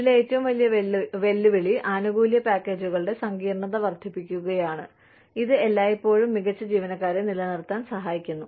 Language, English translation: Malayalam, The biggest challenge in this is, increasing complexity of benefits packages, always helps to retain, very good employees